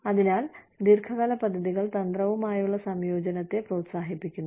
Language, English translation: Malayalam, So, long term plans encourage, the integration with strategy